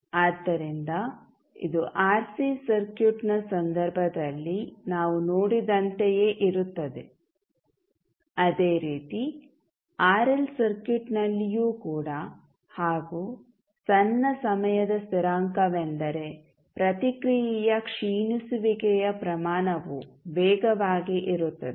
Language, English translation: Kannada, So, this is similar to what we saw in case of RC circuit so similar to that in RL circuit also the small time constant means faster the rate of decay of response